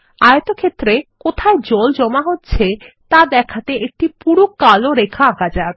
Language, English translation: Bengali, In the rectangle, lets draw a thick black line to show where the ground water accumulates